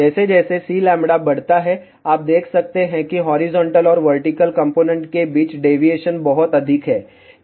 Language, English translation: Hindi, As C lambda increases, you can see now the deviation between horizontal and vertical component is much more